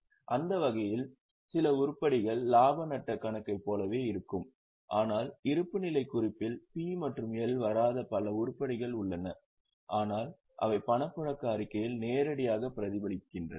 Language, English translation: Tamil, But mind well, there are several items in the balance sheet which do not come in P&L but which are directly reflected in cash flow statement